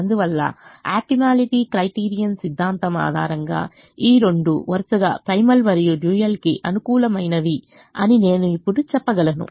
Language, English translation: Telugu, therefore, based on the optimality criterion theorem, i can now say that both these are optimum to primal and dual respectively